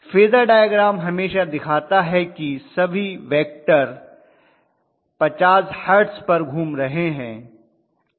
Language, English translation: Hindi, Phasor diagram always shows all the vectors are rotating at 50 Hertz